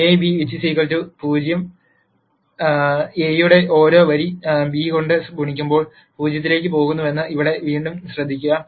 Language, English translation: Malayalam, Again here notice that if A beta equal to 0 every row of A when multiplied by beta goes to 0